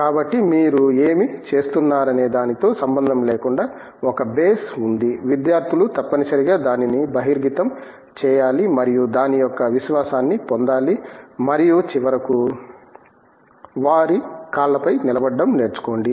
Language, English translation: Telugu, So, there is a base irrespective of what you are doing, students have to be mandatorily exposed to that and have to get the confidence of that and finally, learn to stand on their feet